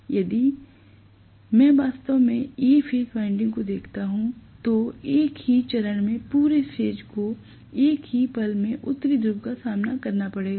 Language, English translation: Hindi, So, if I look at actually A phase winding, A phase winding the entire number of turns are going to face the North Pole at its peak at the same instant